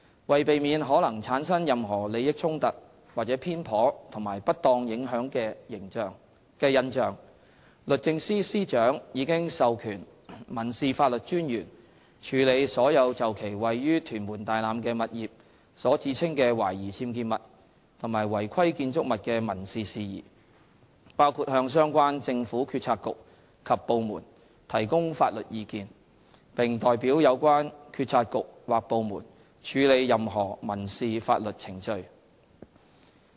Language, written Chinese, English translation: Cantonese, 為避免可能產生任何利益衝突或偏頗和不當影響的印象，律政司司長已授權民事法律專員處理所有就其位於屯門大欖的物業所指稱的懷疑僭建物及違規建築物的民事事宜，包括向相關政府政策局及部門提供法律意見，並代表有關政策局或部門處理任何民事法律程序。, In order to avoid possible perception of bias partiality or improper influence the Secretary for Justice has delegated to the Law Officer Civil Law the authority to handle all civil matters relating to alleged suspected unauthorizedillegal structures of her property at Tai Lam Tuen Mun including advising the Government bureaux and departments concerned and representing the same in the conduct of any civil proceedings